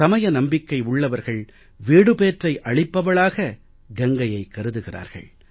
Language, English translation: Tamil, For those who are religiously inclined, Ganga is the path to salvation for them